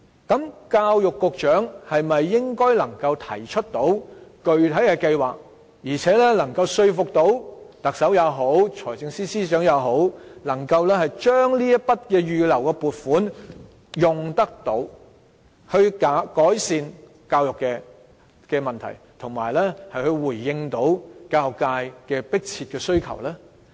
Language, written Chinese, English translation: Cantonese, 那麼教育局局長能否提出具體計劃，並說服特首或財政司司長運用這筆預留撥款來改善教育問題，以及回應教育界的迫切需求呢？, So can the Secretary for Education put forth a specific plan and convince the Chief Executive or the Financial Secretary to use the money reserved to improve education problems and respond to the pressing needs of the education sector?